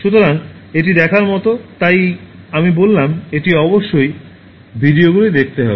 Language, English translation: Bengali, So, it is worth watching, so that is why I said that it is must watch videos